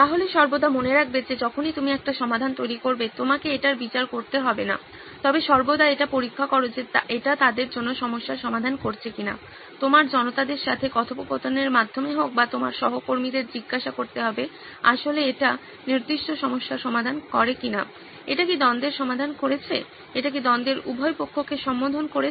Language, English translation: Bengali, So, always bear in mind that whenever you generate a solution, you don’t have to judge on it but always check back whether it solves the problem for them, whether it be through interactions with your audience or asking your colleagues to check whether it actually makes sense for the particular problem, has it solved the conflict, is it addressing both sides of the conflict